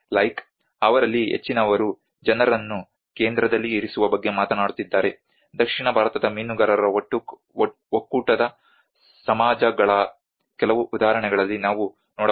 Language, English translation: Kannada, Like, most of them they are talking about putting people in the centre, like we can see in some of the examples where the south Indian fishermen federation societies, Benny Kuriakose